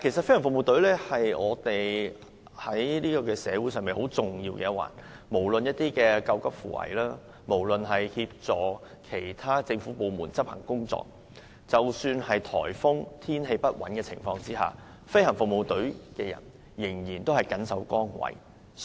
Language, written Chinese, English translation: Cantonese, 飛行服務隊在社會上擔當很重要的角色，既負責救急扶危，又協助其他政府部門執行工作，即使在颱風或天氣不穩的情況下，飛行服務隊仍然緊守崗位。, Playing a crucial role in society GFS is responsible for not only rescuing people in distress but also assisting other government departments in carrying out their work . Even in times of typhoon or unstable weather GFS still plays its role faithfully